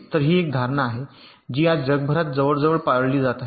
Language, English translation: Marathi, so this is an assumption which is which is followed almost universally today